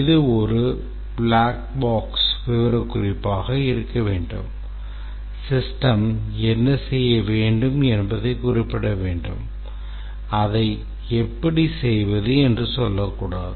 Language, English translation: Tamil, It should be a black box specification, should specify what the system must do and not say how to do it